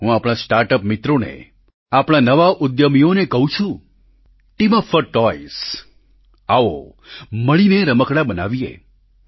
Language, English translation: Gujarati, To my startup friends, to our new entrepreneurs I say Team up for toys… let us make toys together